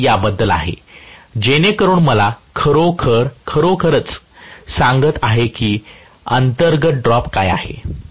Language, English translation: Marathi, That is about it, so that tells me really what is the internal drop that is taking place